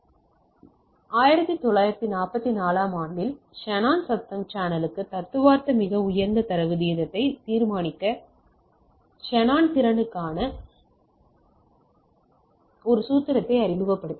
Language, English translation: Tamil, In long back in 1944, the Shannon introduced a formula for Shannon capacity to determine the theoretical highest data rate for the noisy channel